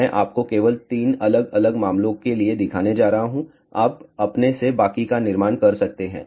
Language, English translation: Hindi, I am just going to show you for 3 different cases you can built the rest on your own